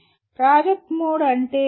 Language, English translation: Telugu, What is project mode